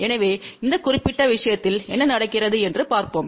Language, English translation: Tamil, So, let us see what happens in this particular case